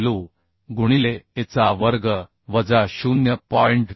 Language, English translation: Marathi, 5 w a square minus 0